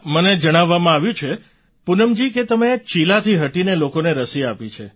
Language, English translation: Gujarati, I've been told Poonam ji, that you went out of the way to get people vaccinated